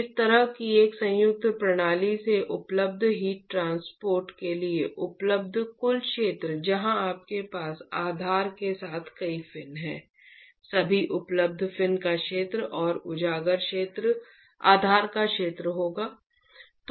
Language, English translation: Hindi, The total area that is available for heat transport available from a composite system like this where you have many fins along with the base would be area of all the fins which is available plus the area of the exposed base